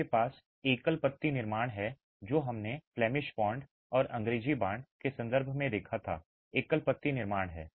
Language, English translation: Hindi, You have single leaf constructions, what we saw earlier in terms of the Flemish bond and the English bond are single leaf constructions